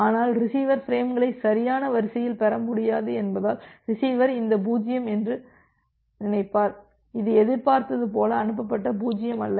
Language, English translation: Tamil, But because the receiver can receive frames out of order, receiver will think this 0, as this 0 which it was expecting, but this was not the 0 it 0 that was being transmitted, this 0 was being transmitted